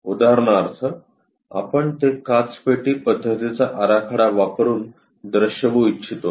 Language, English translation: Marathi, For example, we would like to show it using glass box method the layout